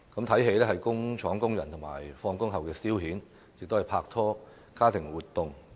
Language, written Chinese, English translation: Cantonese, 看電影是工廠工人下班後的消遣，也是拍拖和家庭活動。, Watching movies was a pastime for factory workers after work as well as a dating and family activity